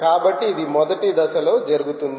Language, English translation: Telugu, so this is what would happen as a first step